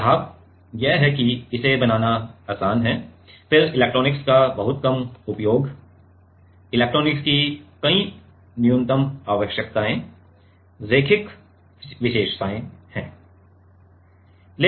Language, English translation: Hindi, Advantages will be like it is simple to fabricate, then very minimal use of electronics, many minimum need of electronics, linear characteristics